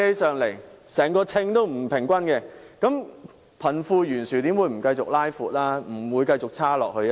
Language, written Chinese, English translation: Cantonese, 整個秤子是不平衡的，貧富懸殊又怎會不繼續擴闊呢？, We can see in comparison that the entire scale is unbalanced so how will the wealth gap not continue to widen?